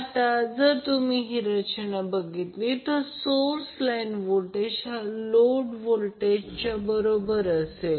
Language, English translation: Marathi, So this is your load voltage which is equal to the source voltage